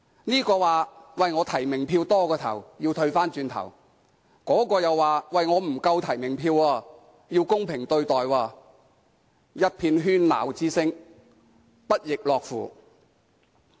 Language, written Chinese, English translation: Cantonese, 某候選人說提名票過多要退回，某候選人又說提名票不足，要公平對待，一遍喧鬧聲，不亦樂乎。, While one candidate said that heshe had to return the excessive nominations another candidate said that heshe could not get enough nominations and asked to be fairly treated . There is a clamour of voices